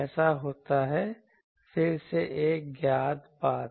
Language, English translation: Hindi, That occurs, again a known thing that